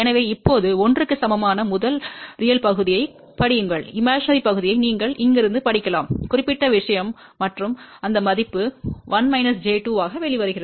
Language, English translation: Tamil, So now, read first real part which is equal to 1, imaginary part you can read from here this particular thing and that value comes out to be 1 minus j 2